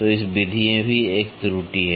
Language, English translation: Hindi, So, this method also has an error